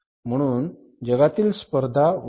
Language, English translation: Marathi, So it intensified the competition